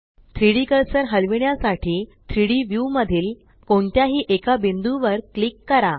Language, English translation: Marathi, Click on any point in the 3D view to move the 3D cursor